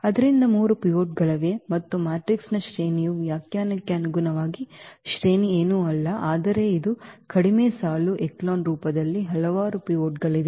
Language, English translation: Kannada, So, there are 3 pivots and the rank as per the definition that rank of the matrix is nothing but it is a number of pivots in reduced row echelon form which is 3 in this example